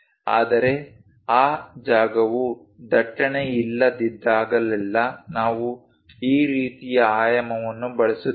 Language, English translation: Kannada, But whenever that space is not there congested instead of that what we use is this kind of dimensioning